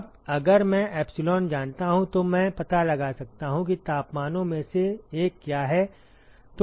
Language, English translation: Hindi, Now, if I know epsilon I can find out what is the one of the temperatures